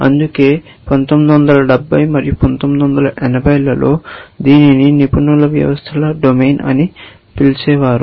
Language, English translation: Telugu, That is why, in the 70s and 80s, this was known as the domain of expert systems